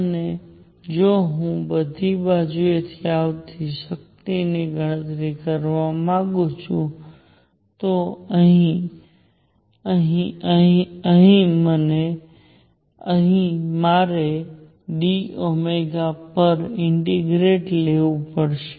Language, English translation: Gujarati, And if I want to calculate the power coming from all sides, so here, here, here, here, here, here, here, here, I got to integrate over d omega